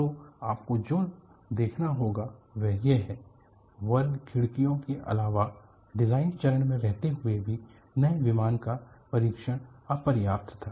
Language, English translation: Hindi, So, what you will have to look at is apart from the square windows, the testing of the new plane while still in it is design phase was inadequate